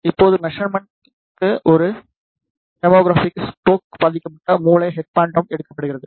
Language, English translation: Tamil, Now for the measurement a hemorrhagic stroke affected brain head phantom is taken